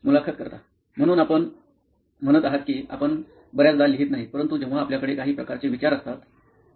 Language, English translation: Marathi, So you are saying you do not write very often, but when you have some kind of thoughts